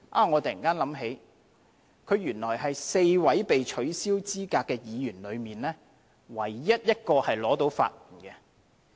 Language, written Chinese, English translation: Cantonese, 我突然想起，原來他是4位被取消資格的議員中唯一一個獲得法援的。, All of a sudden I realize that he is the only one out of the four disqualified Members who has been granted legal aid